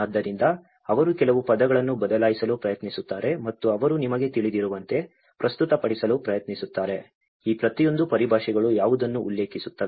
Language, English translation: Kannada, So, they try to alter a few words and they try to present you know, how each of these terminologies refers to what